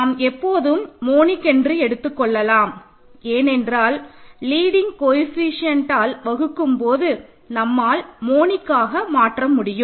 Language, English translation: Tamil, And that we can always assume is monic because we clear we can divide by the leading coefficient and make it monic